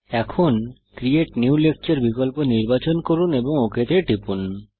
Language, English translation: Bengali, Now, select the Create New Lecture option and click OK